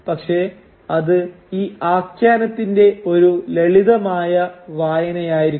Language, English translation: Malayalam, But this would be a simplistic reading of the narrative